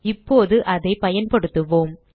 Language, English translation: Tamil, Let us use it now